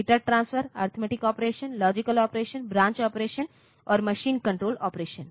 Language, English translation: Hindi, Data transfer, arithmetic operation, logic operation, branch operation and machine control operation